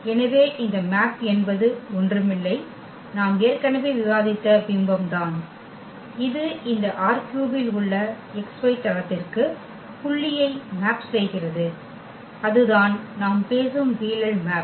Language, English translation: Tamil, So, the image as we discussed already that this mapping is nothing but it maps the point in this R 3 to the to the x y plane and that that is exactly the projection map we are talking about